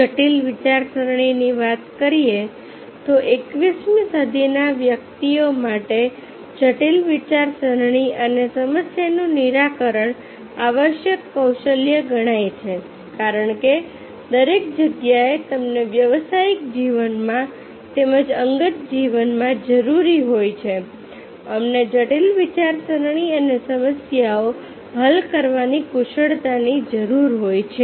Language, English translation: Gujarati, coming to critical thinking, critical thinking and problem solving is considered necessary skills for twenty first century individuals because in the everywhere you require, in the professional life as well as in personal life, we require critical thinking and problems solving skills